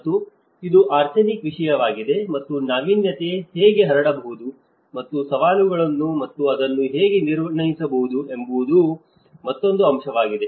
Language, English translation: Kannada, And this is also an another aspect of the arsenic content and how innovation could be diffused and what are the challenges and how one can assess it